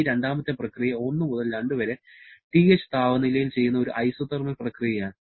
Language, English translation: Malayalam, This second process 1 to 2 is an isothermal process performed at the temperature TH